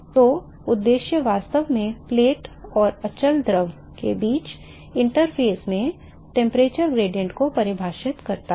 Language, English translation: Hindi, So, the objective is really define the temperature gradient at the inter phase between the plate and the quiescent fluid